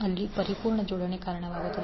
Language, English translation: Kannada, There by resulting in perfect coupling